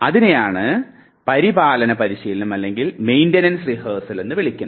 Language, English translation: Malayalam, This is called Maintenance Rehearsal